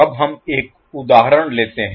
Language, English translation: Hindi, Now let us take 1 example